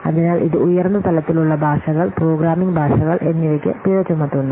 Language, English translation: Malayalam, So it penalizes the high level languages, programming languages